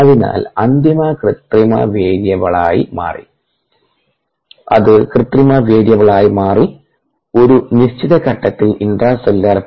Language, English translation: Malayalam, so that became the manipulate variable to maintain the intracellular p